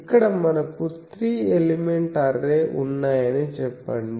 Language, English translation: Telugu, So, here let us say that we have three element array